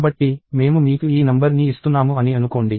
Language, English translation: Telugu, So, let us say I give you this number